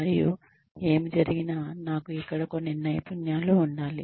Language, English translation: Telugu, And, whatever happens, I may have some skills here